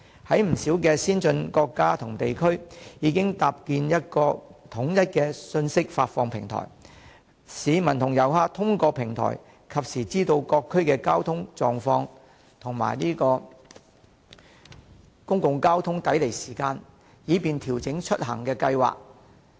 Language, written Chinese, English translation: Cantonese, 不少先進國家及地區已經搭建一個統一的信息發布平台，市民和遊客通過平台實時知道各區的交通狀況及公共交通工具抵離時間，以便調整出行計劃。, Many advanced countries and regions have already set up a unified platform for information dissemination through which locals and tourists can be informed of real - time traffic conditions and arrival and departure times of public transport in various districts so as to adjust their travel plans